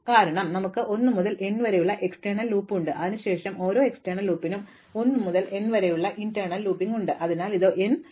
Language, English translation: Malayalam, Because, we have an outer loop from 1 to n and then for each outer loop we have an inner loop from 1 to n, so this is an n squared loop